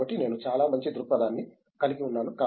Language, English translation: Telugu, So, that is I think a very nice perspective to have